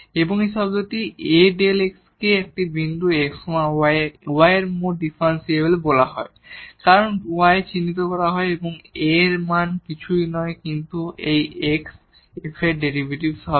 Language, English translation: Bengali, And this term A delta x is called the total differential of y at this point x y and is denoted by delta y and the value of A is nothing but it is the derivative of f at x